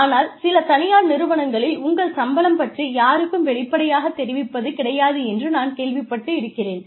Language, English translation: Tamil, But, I have heard, in certain private organizations, your salaries are not disclosed to anyone